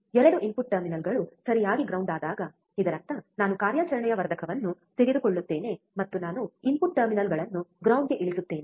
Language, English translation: Kannada, When both the input terminals are grounded right; that means, I take operational amplifier, and I ground both the input terminals